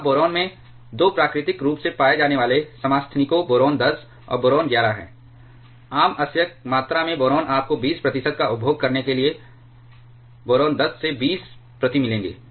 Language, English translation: Hindi, Now, boron has 2 naturally occurring isotopes boron 10 and boron 11, boron in common ore you will find boron 10 to of 20 per to consume 20 percent by volume